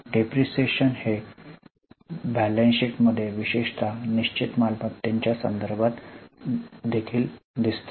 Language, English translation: Marathi, It also appears in the balance sheet especially with reference to fixed assets